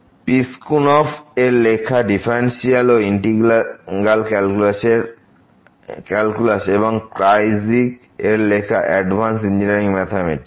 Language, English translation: Bengali, The Piskunov, Differential and Integral Calculus and Kreyszig, Advanced Engineering Mathematics